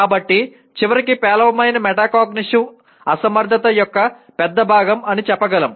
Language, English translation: Telugu, So we can in the end say poor metacognition is a big part of incompetence